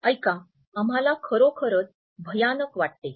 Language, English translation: Marathi, Hey, listen guys we feel really terrible